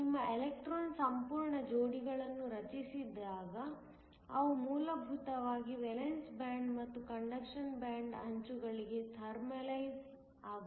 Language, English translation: Kannada, So that, when you have your electron whole pairs being created they will essentially thermalize to the edges of the valence band and the conduction band